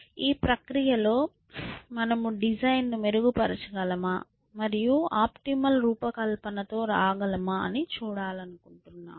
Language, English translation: Telugu, And in the process, we want to see if we can improve upon the designs and come up with the optimal design, whatever optimal means here